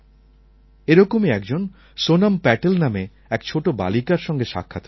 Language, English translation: Bengali, Similarly, I met a small girl named, Sonam Patel